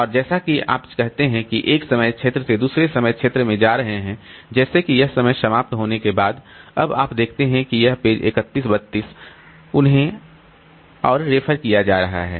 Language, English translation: Hindi, And as you are going from say one time zone to another time zone like after say this time is over now you see that these pages 31 32 they are being referred to more